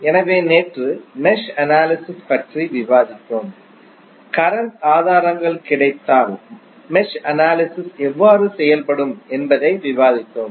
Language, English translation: Tamil, So, yesterday we discussed about mesh analysis and we also discussed that how the mesh analysis would be done if current sources available